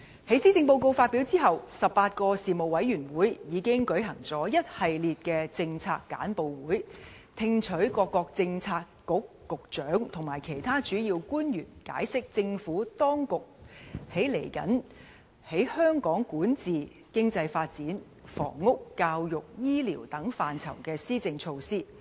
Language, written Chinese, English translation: Cantonese, 在施政報告發表後 ，18 個事務委員會已經舉行了一系列的政策簡報會，聽取各位政策局局長和其他主要官員解釋政府當局未來在香港的管治、經濟發展、房屋、教育和醫療等範疇的施政措施。, After the delivery of the Policy Address 18 Panels have already held a series of policy briefings to receive briefings from Directors of Bureaux and other principal officials on the future policy initiatives of the Administration in areas such as Hong Kongs governance economic development housing education and health care